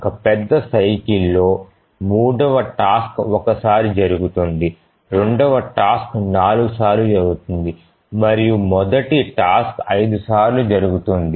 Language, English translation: Telugu, So, in one major cycle, the third task will occur once, the second task will occur four times and the first task will occur five times